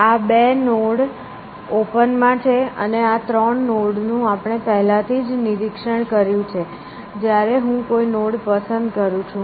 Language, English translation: Gujarati, So, these are the two nodes are in open and this three, let say we have inspected already, when I pick a node from